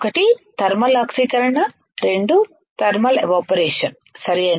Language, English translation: Telugu, One thermal oxidation, 2 thermal evaporation, right